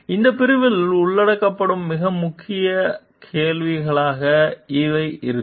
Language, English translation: Tamil, So, these will be the main key questions which will be covered in this section